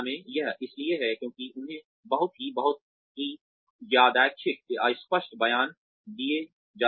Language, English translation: Hindi, It because they are given, very random, vague statements